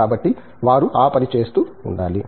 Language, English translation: Telugu, So, they must be doing that